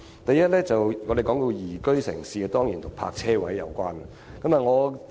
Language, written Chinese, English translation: Cantonese, 第一，關於宜居城市，這當然與泊車位有關。, First a liveable city is definitely related to the provision of parking spaces